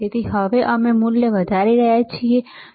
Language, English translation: Gujarati, So now, we are increasing the value, right